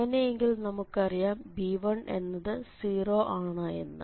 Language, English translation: Malayalam, So, if n is 1 then this becomes 0